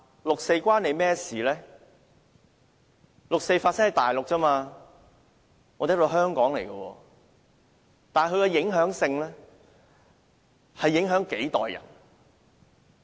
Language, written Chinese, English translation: Cantonese, 六四事件是在內地發生而已，我們這裏是香港；但它卻影響了數代人。, They said that the 4 June incident happened in the Mainland whereas we are in Hong Kong . Yet it has affected several generations of people